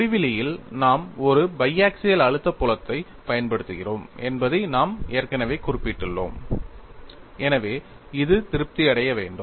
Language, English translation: Tamil, At infinity, we have already noted that we are applying biaxial stress field, so this should be satisfied